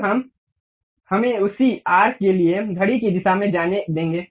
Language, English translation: Hindi, Now, we will, let us go in the clockwise direction for the same arc